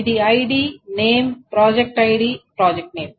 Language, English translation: Telugu, First is the ID name and project ID